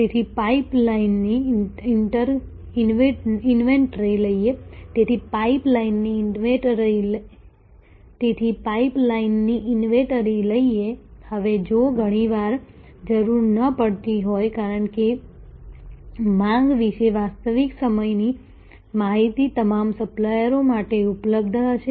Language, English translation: Gujarati, So, the pipe line sort of inventory, now if often not required, because real time information about demand will be available to all the suppliers